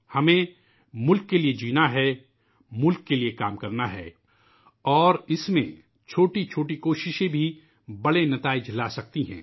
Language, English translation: Urdu, We have to live for the country, work for the country…and in that, even the smallest of efforts too produce big results